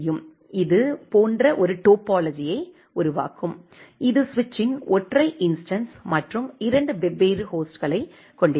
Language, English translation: Tamil, It will create a topology like this; it will have a single instance of the switch and two different hosts